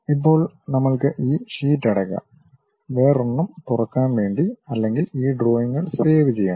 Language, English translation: Malayalam, Now, we can straight away close this sheet to open a new one or we are interested in saving these drawings